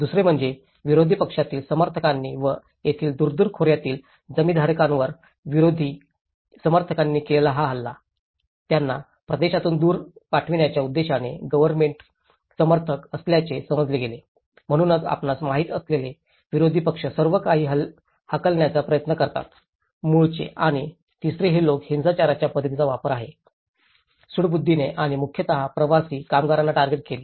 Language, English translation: Marathi, and the second was an onslaught by opposition supporters on small farmers and landholders in the rift Valley, perceived to be government supporters within the aim of driving them away from the region, so that is also how opposition parties you know make an attempt to drive all these people from the origin and the third one is of the pattern of violence was retaliatory and targeted mainly at the migrant workers